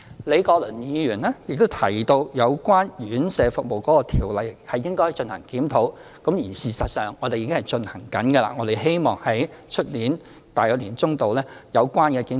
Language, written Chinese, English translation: Cantonese, 李國麟議員提到有關院舍服務的條例應進行檢討，事實上，我們已正在進行工作，希望明年年中左右完成有關的檢討。, Prof Joseph LEE advised that the laws related to residential care homes should be reviewed . In fact the work is now in progress and we hope that the review can be finished by the middle of next year